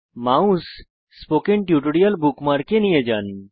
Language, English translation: Bengali, Move the mouse over the Spoken Tutorial bookmark